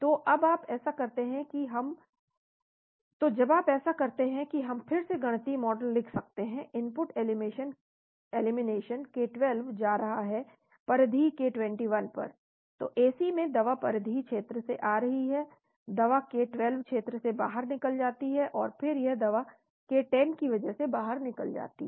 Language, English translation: Hindi, So when you do that we can have again write the mathematical model input elimination k12 going to peripheral k21, so drug in the Ac is coming from the peripheral region, drug gets eliminated from the k12 region, and then that drug gets eliminated because of the k10